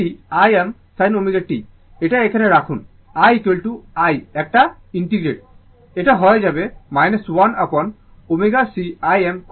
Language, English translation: Bengali, And this I m sin omega t you put it here i is equal to i an integrate, it will become minus 1 upon omega c I m cos omega t is equal to v right